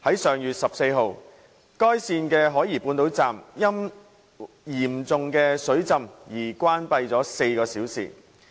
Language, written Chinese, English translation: Cantonese, 上月14日，該線的海怡半島站因嚴重水浸而關閉了4小時。, On the 14 of last month South Horizons Station of SIL was closed for four hours due to serious flooding